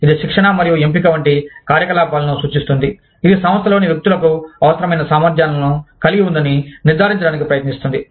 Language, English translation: Telugu, This refers to the activities, such as training and selection, that seek to ensure, that the individuals in the organization, have the required competencies